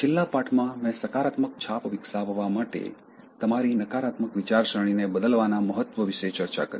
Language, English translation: Gujarati, In the last lesson, I discussed about the importance of changing your negative thinking in order to develop a positive self image